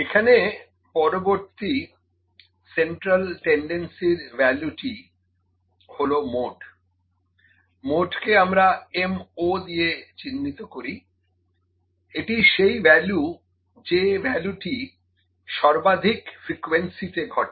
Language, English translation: Bengali, So, next value is now next central tendency is mode here, mode is denoted by M subscript o, it is the value that occurs with maximum frequency or the greatest frequency